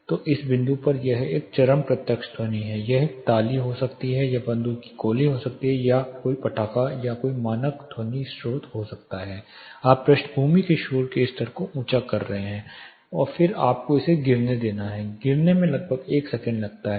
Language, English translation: Hindi, So, this point this peak direct sound, it can be a clap, it can be gun shot or it could be a cracker or any standard sound source you are elevating the background noise level and then your letting it fall the cracker is just one impulse it falling of it takes about 1 second